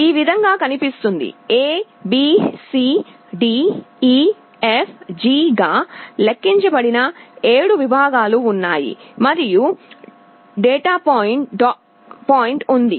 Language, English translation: Telugu, This is how it looks like, there are 7 segments that are numbered A B C D E F G and there is a dot point